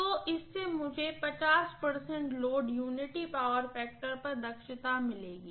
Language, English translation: Hindi, So this will give me efficiency at 50 percent load unity power factor